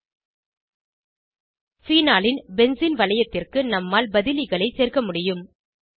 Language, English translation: Tamil, We can add substituents to the benzene ring of phenol